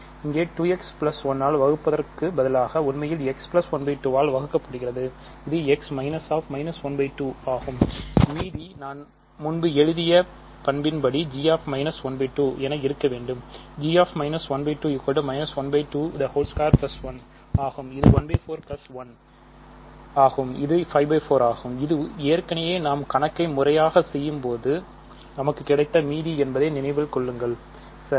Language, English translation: Tamil, g of minus 1 by 2 is minus 1 by 2 squared plus 1 which is 1 by 4 plus 1 which is 5 by 4 and remember this is exactly the remainder that we got, right